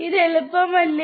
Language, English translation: Malayalam, Is it easy or not